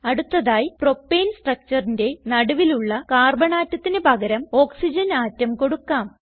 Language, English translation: Malayalam, Next lets replace the central Carbon atom in Propane structure with Oxygen atom